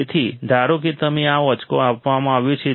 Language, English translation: Gujarati, So, suppose you are given this figure